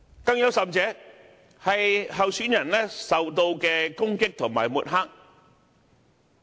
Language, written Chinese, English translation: Cantonese, 更有甚者，是候選人受到的攻擊和抹黑。, Worse still there are candidates suffering from attacks and smears